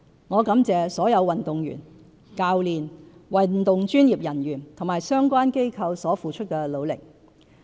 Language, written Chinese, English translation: Cantonese, 我感謝所有運動員、教練、運動專業人員及相關機構所付出的努力。, I would like to thank all our athletes their coaches sports professionals and relevant organizations for their efforts